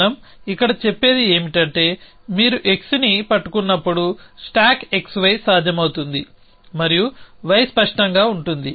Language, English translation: Telugu, So, what we a saying here is that stack x y is possible when you are holding x and y is clear